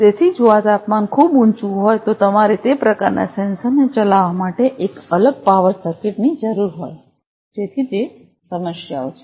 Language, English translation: Gujarati, So, if this temperature is too high you need a separate power circuit to drive those kind of sensor so those are the issues